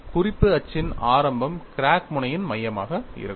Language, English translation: Tamil, Origin of the reference axis would be the center of the crack tip